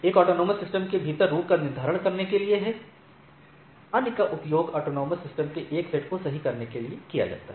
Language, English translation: Hindi, One is to determine the routing paths within the AS; others are used to interconnect a set of autonomous systems right